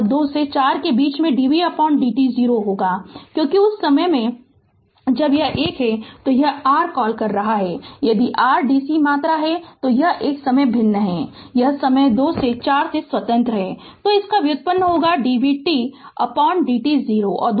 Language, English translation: Hindi, And in between 2 to 4 second dvt by dt 0, because it is at the time it is a it is your what you call if your dc quantity right it is a time varying, it is independent of time 2 to 4